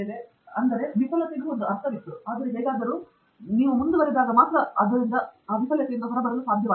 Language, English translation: Kannada, So there again a sense of failing was there, but somehow I was able to come out of it by persisting